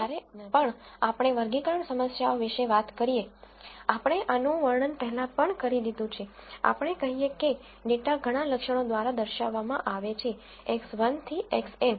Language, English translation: Gujarati, Now, whenever we talk about classification problems, we have described this before, we say a data is represented by many attributes, X 1 to X n